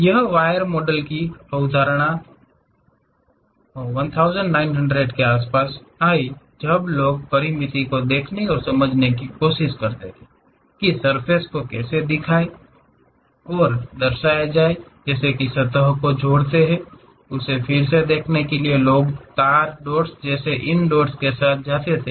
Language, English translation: Hindi, This concept of wire models came around 1900, when people try to look at finite discretization and try to understand that represent the surfaces, connect the surfaces; to recapture people used to go with these dots like wireframes